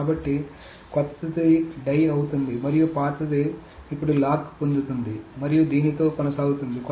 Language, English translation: Telugu, So the young one dies and the old one essentially now gets the lock and continues with this